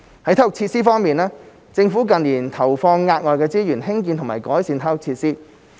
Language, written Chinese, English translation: Cantonese, 在體育設施方面，政府近年投放額外資源興建及改善體育設施。, In terms of sports facilities the Government has invested additional resources in the construction and improvement of sports facilities in recent years